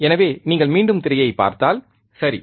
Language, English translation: Tamil, So, if you see the screen once again, right